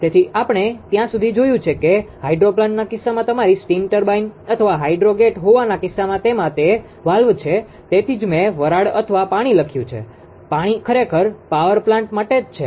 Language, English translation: Gujarati, So, up to this we have seen that you are it is a valve in case of yours hydro gate or high turbine in case of hydro plant right that is why have written steam or water what actually for hydro power plant right